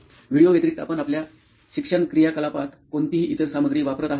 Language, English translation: Marathi, So other than videos, do you use any other material in your learning activity